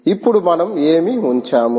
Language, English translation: Telugu, what did we put